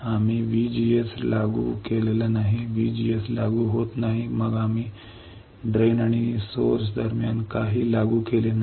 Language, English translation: Marathi, VGS is not applied then we have not applied anything between drain and source